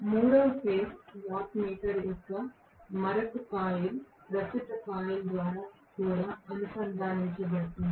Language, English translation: Telugu, The third phase will also be connected through another current coil of the watt meter